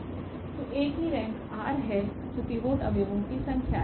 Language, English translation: Hindi, So, the rank of A is r that is the number of the of the pivot elements